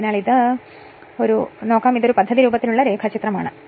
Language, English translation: Malayalam, So, this is a schematic diagram which I have taken from a book right